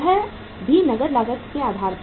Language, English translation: Hindi, That too on the cash cost basis